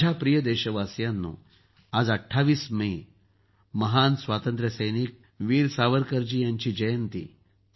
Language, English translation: Marathi, My dear countrymen, today the 28th of May, is the birth anniversary of the great freedom fighter, Veer Savarkar